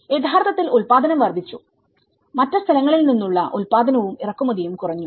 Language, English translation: Malayalam, And that has actually, the production has increased and obviously, the productions and the imports from other places has been decreased